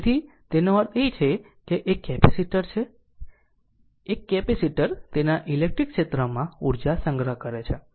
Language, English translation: Gujarati, So, so that means, that is a capacitors a capacitors stores energy in its electric field right